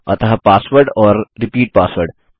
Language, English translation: Hindi, So pasword and repeat password